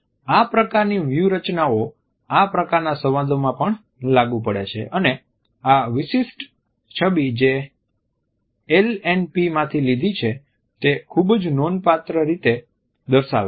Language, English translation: Gujarati, The same strategy works during this type of dialogues also this particular image which I have taken from LNPs illustrates it very significantly